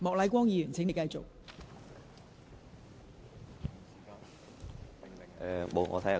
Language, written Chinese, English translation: Cantonese, 莫乃光議員，請繼續發言。, Mr Charles Peter MOK please continue with your speech